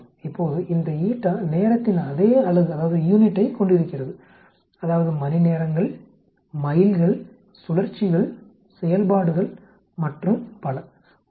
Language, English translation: Tamil, Now, this eta has a same unit as time that is hours, miles, cycles, actuations and so on actually